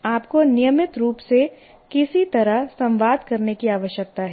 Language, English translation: Hindi, You have to constantly somehow communicate